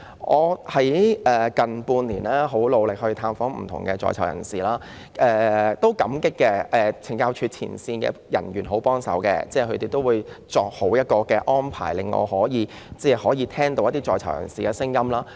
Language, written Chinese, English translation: Cantonese, 近半年我很努力探訪在囚人士，我感激懲教署的前線人員，他們十分願意協助安排，令我可以聽取在囚人士的聲音。, I have exerted myself to visit prisoners in the past six months . I am grateful to the frontline officers of CSD . They are very willing to assist in making the arrangements thus enabling me to listen to the prisoners views